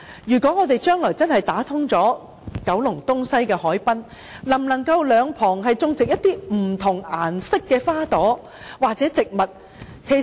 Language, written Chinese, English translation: Cantonese, 如果將來真的打通九龍東西的海濱，能否在兩旁種植不同顏色的花朵或植物？, If the waterfronts of the east and west of Kowloon are truly linked up can multi - coloured flowers and plants be grown on both sides?